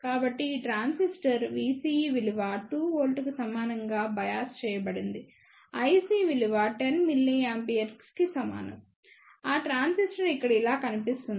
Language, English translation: Telugu, So, this transistor is to be biased for V CE equal to 2 volt, I C equal to 10 milliampere, the transistor looks like this over here